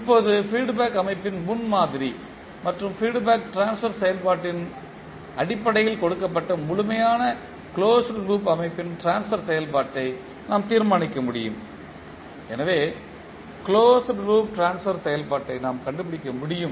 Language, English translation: Tamil, Now given the model of the feedback system in terms of its forward and feedback transfer function we can determine the transfer function of the complete closed loop system